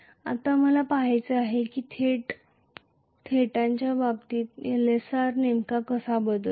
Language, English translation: Marathi, Now I have to look at how exactly Lsr varies with respect to theta